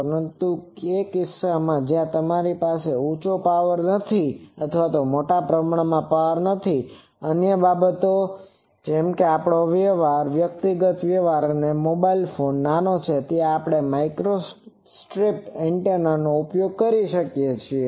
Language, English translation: Gujarati, But, those cases where you are not having high power you are not having sizable power suppose our communication and all those things the personal communication all those, there you have small mobile phone smaller there we use microstrip antenna